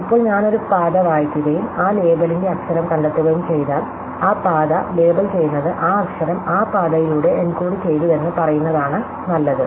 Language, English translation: Malayalam, Now, if I read of a path and then I find the letter of that label, then it is as good as saying that path labels that letter is encoded by that path